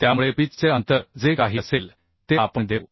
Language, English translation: Marathi, what will be the pitch distance